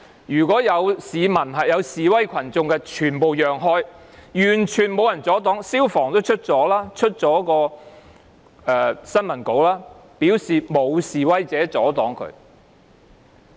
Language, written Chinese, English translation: Cantonese, 沿途示威群眾全部讓開，完全沒有人阻擋救護員，消防處也發了新聞稿，表示沒有示威者阻擋他們。, No one blocked the ambulancemen at all . The Fire Services Department FSD also issued a press release saying that no protester blocked their way . I do not want to repeat the whole story